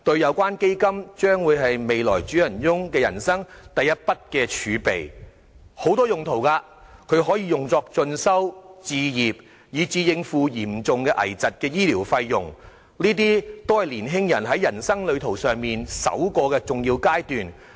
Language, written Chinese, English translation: Cantonese, 有關基金將會是未來主人翁人生的第一筆儲備，基金的用途廣泛，包括進修、置業，以至應付嚴重危疾的醫療費用，這些都是年青人在人生旅途上首個重要階段。, The fund will be the initial endowment for our future masters in their life serving multiple purposes including further studies home acquisition and coping with the medical expenses for critical illnesses . All of these are the important firsts of young people in their journey of life